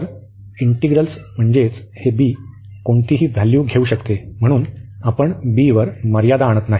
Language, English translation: Marathi, So, integrals means that this b can take any value, so we are not restricting on b